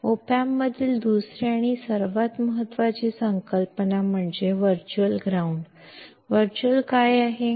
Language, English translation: Kannada, Second and the most important concept in op amp is the virtual ground; what is virtual